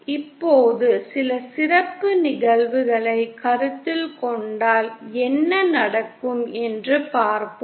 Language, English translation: Tamil, Now let us see what happens if we consider some special cases